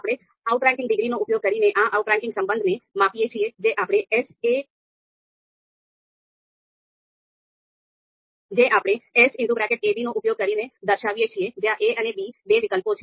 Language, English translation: Gujarati, So we measure this outranking relation using the outranking degree which we you know indicate, which we denote using capital S in parenthesis a, b where a and b you know being two alternatives